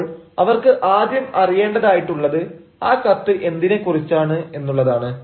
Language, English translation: Malayalam, so what they need to understand first is: what is this letter about